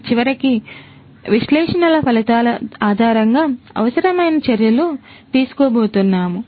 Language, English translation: Telugu, And finally, based on the results of the analytics, requisite actions are going to be taken